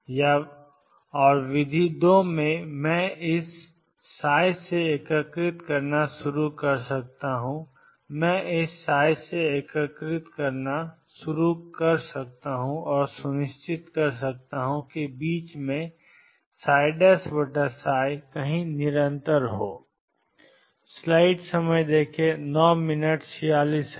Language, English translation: Hindi, Or method two, I can start integrating from this psi I can start integrating from this psi and make sure that somewhere in the middle psi prime over psi is continuous